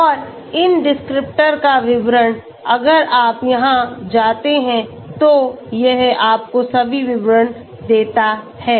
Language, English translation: Hindi, And the details of these descriptors, if you go here it gives you all the details